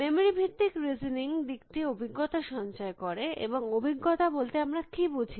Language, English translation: Bengali, And what the memory based approach does is that it, stores experience and what do we mean by experiences